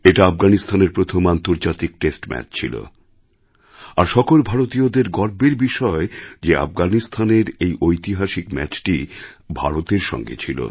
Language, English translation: Bengali, It was Afghanistan's first international match and it's a matter of honour for us that this historic match for Afghanistan was played with India